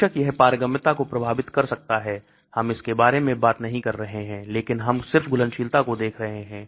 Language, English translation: Hindi, Of course, it may affect the permeability, we are not talking about that but we are just looking at solubility